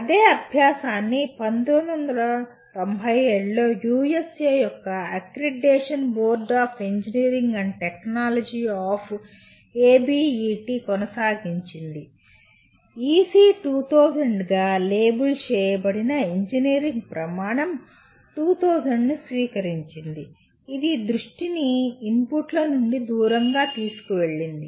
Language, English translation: Telugu, And the same exercise was continued by ABET, the accreditation board of engineering and technology of USA in 1997 adopted Engineering Criteria 2000 labelled as EC2000 which shifted the focus away from the inputs